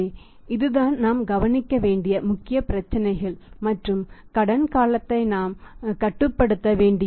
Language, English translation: Tamil, So, that is the main problems that we will have to look for and we will have to restrict the credit period